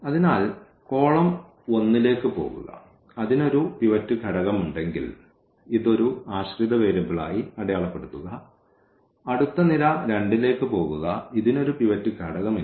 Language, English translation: Malayalam, So, go to the column number 1, if it has a pivot element mark this as a dependent variable; go to the next column 2, it does not have a pivot element